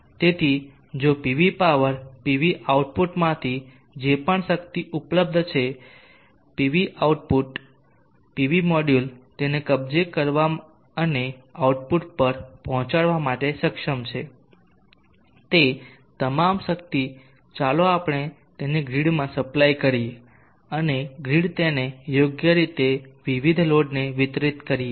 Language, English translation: Gujarati, So if the PV power whatever power is available from the pv output whatever power the pv module are capable of capturing in delivering it at the output all that power let us supply it to the grid